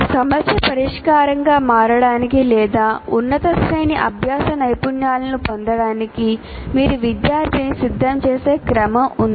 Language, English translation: Telugu, There is a sequence in which you have to prepare the student to be able to become problem solvers or acquire higher order learning skills